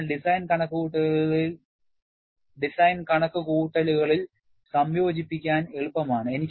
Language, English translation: Malayalam, So, easy to integrate in design calculations